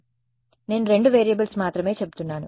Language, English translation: Telugu, So, that is why I am saying only two variables